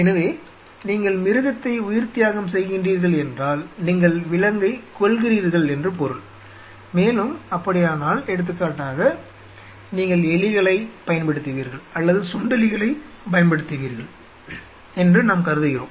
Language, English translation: Tamil, So, your sacrificing the animal means you to kill the animal and, in that case, say for example, we consider that you will be using mice or you will be using rats or something